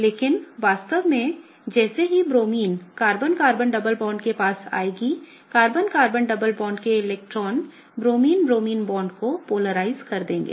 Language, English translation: Hindi, But in reality, as the Bromine gets approached by the Carbon Carbon double bond okay, the electrons of the Carbon Carbon double bond are going to polarize the Bromine Bromine bond